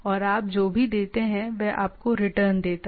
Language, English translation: Hindi, And whatever you give it gives you a return it back